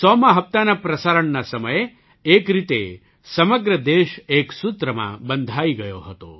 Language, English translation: Gujarati, During the broadcast of the 100th episode, in a way the whole country was bound by a single thread